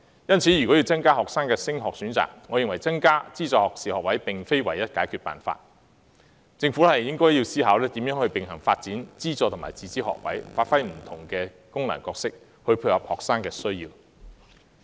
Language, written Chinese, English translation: Cantonese, 因此，要增加學生的升學選擇，我認為增加資助學士學位並非唯一解決辦法，政府應思考如何並行發展資助及自資學位，發揮不同的功能，來配合學生的需要。, Hence I do not consider increasing the number of subsidized university places the only way to increase the students chance to further their studies . The Government should consider how to develop subsidized and self - financing places in parallel which will play different roles in meeting students needs